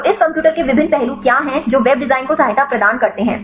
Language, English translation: Hindi, So, what are the various aspects of this computer aided web design right